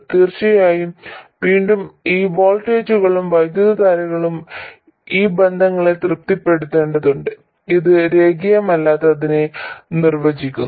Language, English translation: Malayalam, And of course, again, these voltages and currents have to satisfy these relationships which define the non linearity